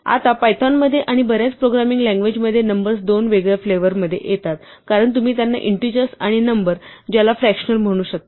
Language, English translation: Marathi, Now in python and in most programming languages numbers come in two distinct flavours as you can call them integers and numbers which have fractional parts